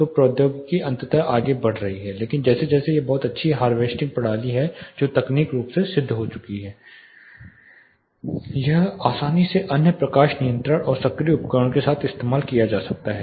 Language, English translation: Hindi, So, the technology is eventually picking up, but as such it is a very good harvesting system which is technically proven it can be easily tag to other light controls and actuating devices